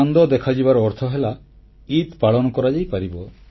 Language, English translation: Odia, Witnessing the moon means that the festival of Eid can be celebrated